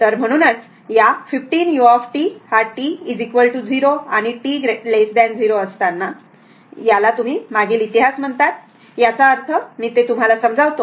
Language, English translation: Marathi, So, that is why this 15 u t your for t is equal to 0 for t less than 0, that is your what you call the past history; that means, let me clear it